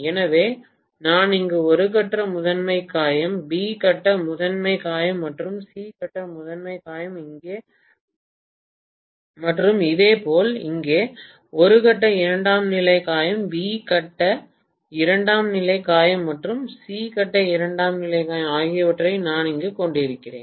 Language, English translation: Tamil, So I am going to have in all probability A phase primary wound here, B phase primary wound here and C phase primary wound here and similarly A phase secondary wound here, B phase secondary wound here and C phase secondary wound here